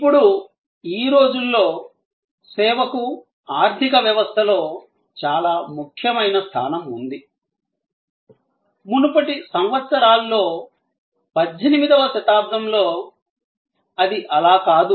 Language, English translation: Telugu, Now, though today, service has very paramount, very prominent position in the economy, in the earlier years, in 18th century, it was not so